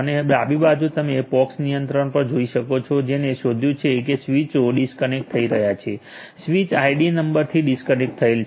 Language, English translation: Gujarati, So, in the left hand side you can see at the POX controller it is detected that the switches are disconnecting so, disconnected with the switch id number